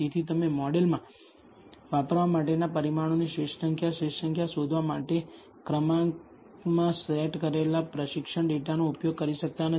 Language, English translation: Gujarati, Therefore, you cannot use the training data set in order to find out the best number of, optimal number of, parameters to use in the model